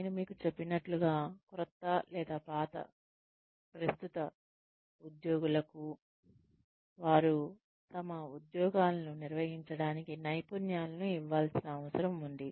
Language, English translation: Telugu, Like I told you, it means, giving new or current employees the skills, they need to perform their jobs